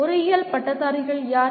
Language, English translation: Tamil, Who are engineering graduates